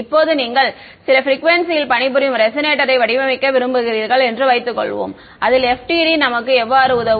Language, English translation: Tamil, Now, supposing you want to design a resonator to work at some frequency how will FDTD will help us in that